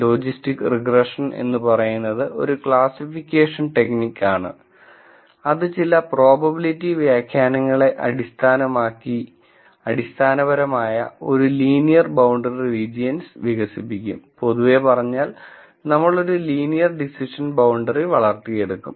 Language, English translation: Malayalam, Logistics regression is a classification technique which basically develops a linear boundary regions, based on certain probability interpretations, while in general we develop a linear decision boundaries, this technique can also be extended to develop non linear boundaries using what is called polynomial logistic regression